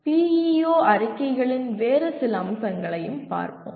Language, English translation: Tamil, some other features of PEO statements